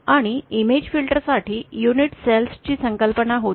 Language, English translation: Marathi, And for the image filters, there was the concept of unit cells